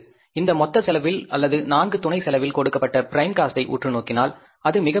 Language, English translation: Tamil, Out of this total cost or the four sub costs, if you look at the value given, prime cost is the biggest one